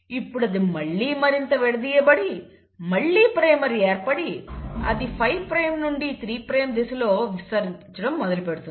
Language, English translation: Telugu, Then this uncoiled further, again there was a primer formed here and then it again had to extend it in a 5 prime to 3 prime direction